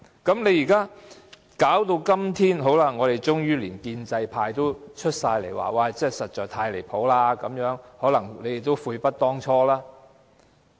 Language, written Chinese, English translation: Cantonese, 到了今天，連建制派都通通出來表示這樣太離譜了，可能你們都悔不當初。, Today even the pro - establishment camp has all come forth to state that this is far too unacceptable . Perhaps you people have regrets now but only too late